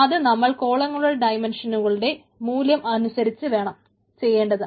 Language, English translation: Malayalam, columns need to be performed based on the values of the dimension columns